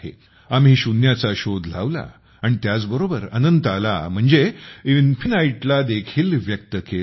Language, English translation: Marathi, If we invented zero, we have also expressed infinityas well